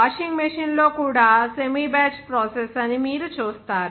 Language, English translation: Telugu, Like also washing machine, you will see that there, this is a semi batch process